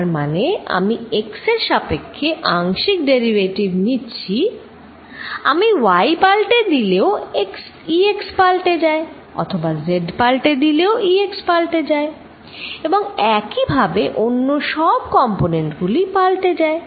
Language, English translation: Bengali, That means, I am taking a partial derivative with respect to x, E x also changes if I change y or E x also changes, if I change z and so do all the other components